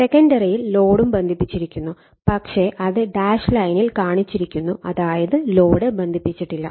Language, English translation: Malayalam, And in the secondary load is also connected, but shown in dash line; that means, load is not connected